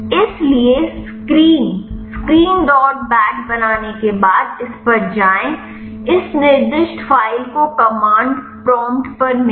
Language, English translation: Hindi, So, go to this once you created screen screen dot bat, got to this specified file got to the command prompt